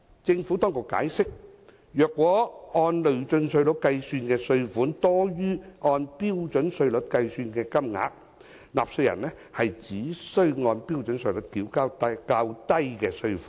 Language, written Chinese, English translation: Cantonese, 政府當局解釋，如果按累進稅率計算的稅款多於按標準稅率計算的金額，納稅人只須按標準稅率繳交較低的稅款。, The Administration has explained that if the tax calculated at progressive rates exceeds the amount calculated at the standard rate the person is only required to pay the lower amount of tax at the standard rate